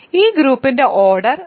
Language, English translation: Malayalam, So, it is a group of order 3